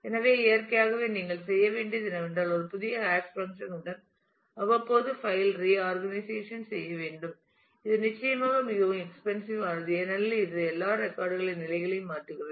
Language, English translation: Tamil, So, naturally what you will have to do is to periodically reorganize the file with a new hash function which is certainly very expensive because it changes the positions of all records